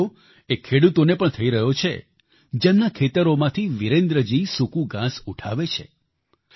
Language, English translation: Gujarati, The benefit of thisalso accrues to the farmers of those fields from where Virendra ji sources his stubble